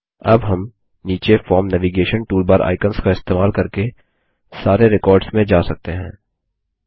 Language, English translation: Hindi, Now we can traverse through all the records by using the Form Navigation toolbar icons at the bottom